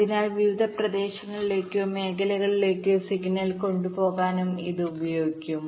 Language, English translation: Malayalam, so this can also be used to carry the signal to various regions or zones